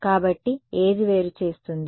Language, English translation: Telugu, So, what differentiates right